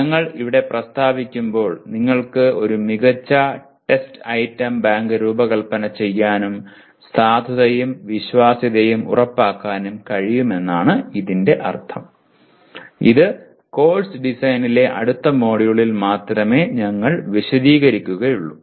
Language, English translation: Malayalam, While we state here that means you can design a good test item bank and also ensure validity and reliability, this we will be elaborating only in the next module on Course Design